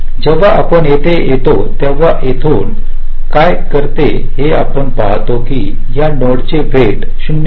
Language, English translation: Marathi, from here, when you come here, we see that the, the weight of this node is point two